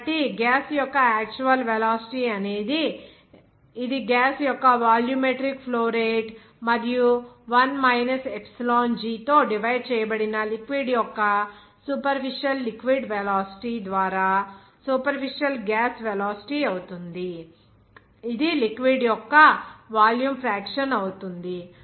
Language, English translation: Telugu, So, that actual velocity will be simply for the gas it will be a superficial gas velocity by volumetric flow rate of gas and superficial liquid velocity of liquid divided by 1 minus epsilon g, that is simply volume fraction of the liquid